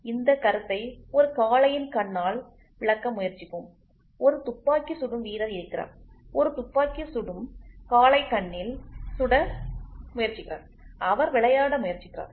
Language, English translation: Tamil, So, let us try to explain the concept with a bull’s eye and a shooter is there, a shooter is trying to hit at bulls eye and he is trying to play